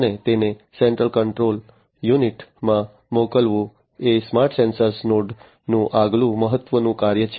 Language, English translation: Gujarati, And sending it to the central control unit is the next important function of a smart sensor node